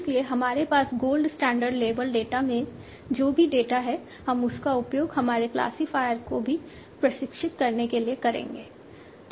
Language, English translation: Hindi, So whatever data we have in the gold standard label data, we will use that to train our classifier also